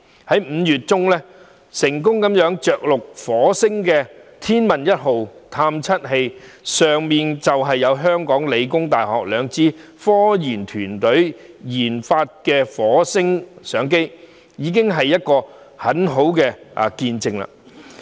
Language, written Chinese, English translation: Cantonese, 在5月中成功着陸火星的天問一號探測器，當中有香港理工大學兩支科研團隊研發的火星相機，這是一個很好的見證。, The Tianwen - 1 spacecraft which successful landed on Mars in mid - May is a case in point as it has been installed with the Mars Camera developed by the two research teams from The Hong Kong Polytechnic University